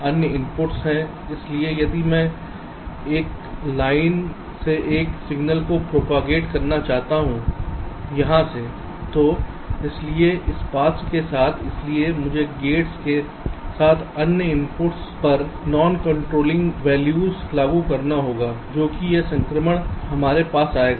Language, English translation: Hindi, so if i want to propagate a signal from one line, let say from here, so along this path, so i have to apply non controlling value to the other inputs along the gates